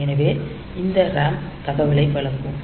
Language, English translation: Tamil, So, this RAM will be providing the data